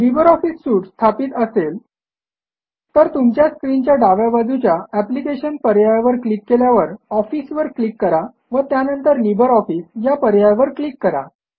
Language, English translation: Marathi, If you have already installed LibreOffice Suite, you will find LibreOffice Impress by clicking on the Applications option at the top left of your screen and then clicking on Office and then on LibreOffice option